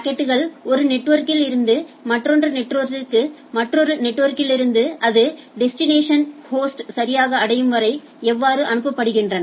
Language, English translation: Tamil, How the packets are getting forwarded from one network to another network to another networks till then the destination host is reached right